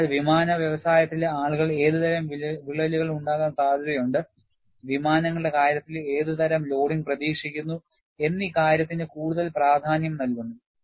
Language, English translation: Malayalam, So, aircraft industry people would like to focus more on what kind of cracks are probable, what kind of loading you anticipate in the case of aircrafts